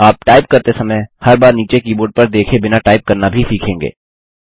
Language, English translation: Hindi, You will also learn to type, Without having to look down at the keyboard every time you type